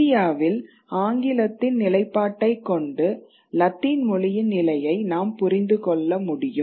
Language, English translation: Tamil, So, therefore, the position of English, with the position of English in India, we can understand the position of Latin